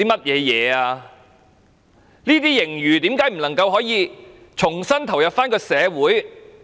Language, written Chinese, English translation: Cantonese, 這些盈餘為何不能重新投入社會？, Why can the surplus not be ploughed back into the community again?